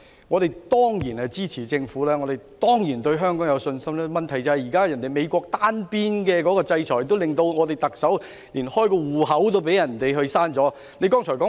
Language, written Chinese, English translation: Cantonese, 我們當然支持政府，亦當然對香港有信心，但問題是，現時美國的單邊制裁令特首被取消銀行帳戶。, We certainly support the Government and have confidence in Hong Kong but the problem is that the sanction order unilaterally issued by the US has resulted in the cancellation of the Chief Executives bank account